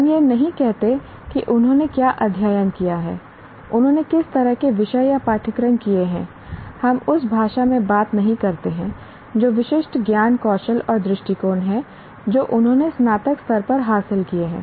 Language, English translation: Hindi, We do not say what they have studied, what kind of subjects or courses they have done, we don't talk in that language, what specific knowledge, skills and attitudes have they acquired by the time, at the time of graduation